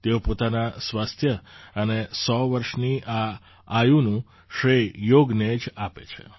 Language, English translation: Gujarati, She gives credit for her health and this age of 100 years only to yoga